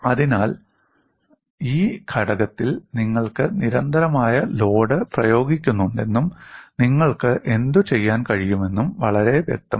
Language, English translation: Malayalam, So, it is very clear that you are having a constant load applied to the component, and what you could do